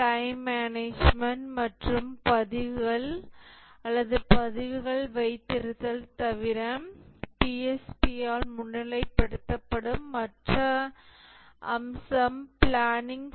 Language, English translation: Tamil, Other than the time management and keeping records or logs, the other aspect which is highlighted by the PSP is planning